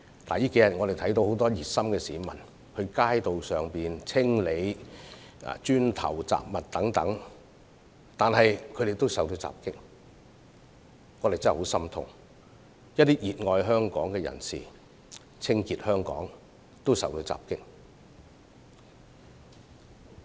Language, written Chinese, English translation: Cantonese, 最近數天，我們看到很多熱心市民清理街道上的磚塊和雜物等，但他們也受到襲擊，真的教我們十分痛心，因為有熱愛香港的市民在清潔香港時竟然也受到襲擊。, Over the past few days we have seen how some well - intentioned individuals are attacked in the course of removing bricks and miscellaneous items from the streets . This is really very saddening to us because even those who cherish Hong Kong very dearly have been attacked in the course of cleaning up Hong Kong